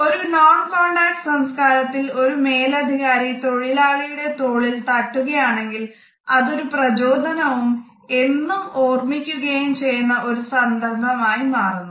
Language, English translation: Malayalam, In a non contact culture if a manager gives a pat on the shoulder of a subordinate employee, for the employee it is an encouragement which would always be remembered